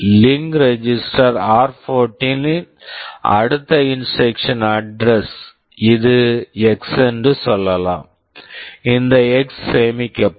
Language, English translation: Tamil, In the link register r14, this next instruction address let us say this is X, this X will get stored